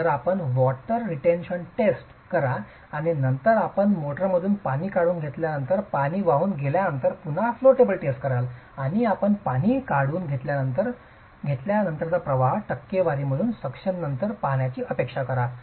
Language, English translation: Marathi, So, you do a water retention test and then you carry out the flow table test again after carrying out the water, after removing the water from the motor and you expect that the flow after the water is removed, flow after suction as a percentage of the flow before suction is about 80% or 90%